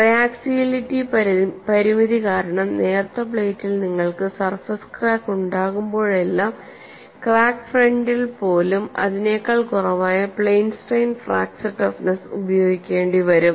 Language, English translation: Malayalam, On the crack front in the through the thickness crack in thin plates, you use plane stress only, whenever you have a surface crack even in a thin plate on the crack front because of triaxiality constrained, you will have to use plane strain fracture toughness which is lower than that